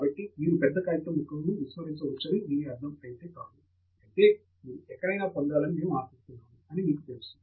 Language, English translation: Telugu, So, that does not mean that you can ignore large chunks of the paper and then hope to get anywhere, you know